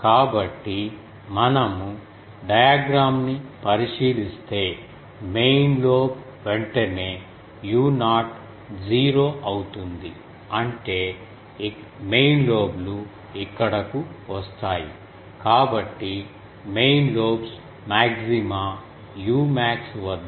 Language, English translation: Telugu, So, if we look at the diagram the major lobe is immediately u 0 becomes 0 means major lobes comes here so, major lobes maxima at u max is 0